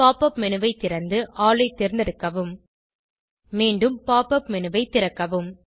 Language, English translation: Tamil, Open the Pop up menu and select All Open the Pop up menu again